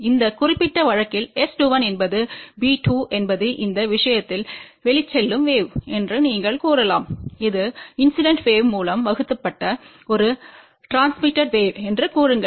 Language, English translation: Tamil, And in this particular case S 21 is you can say b 2 is the outgoing wave in this case we would say it is a transmitted wave divided by incident wave